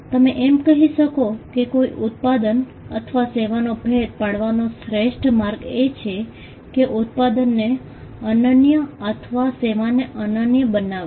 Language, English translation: Gujarati, You may say that, the best way to distinguish a product or a service is by making the product unique or the service unique